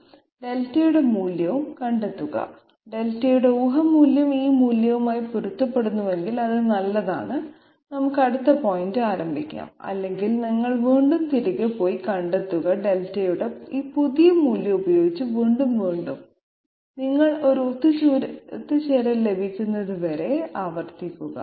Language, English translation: Malayalam, Find the value of Delta and if the guess value of the Delta matches this value, it is good, we can start the next point then otherwise, you again go back find out Delta you and Delta w afresh with this new value of Delta and iterate until and unless you get a convergence